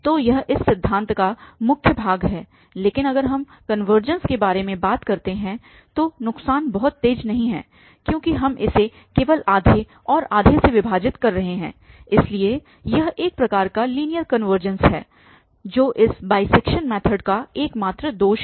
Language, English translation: Hindi, So, that is the main advantage of this method but the disadvantage if we talk about the convergence is not very fast because we are just dividing this by half and half so it is kind of linear convergence which is the only drawback of this bisection method